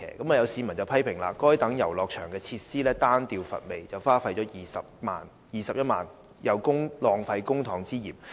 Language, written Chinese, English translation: Cantonese, 有市民批評，該等遊樂設施單調乏味，花費21萬元有浪費公帑之嫌。, Some members of the public have criticized that such play equipment was monotonous and uninteresting and the spending of 210,000 on such equipment appeared to be a waste of public money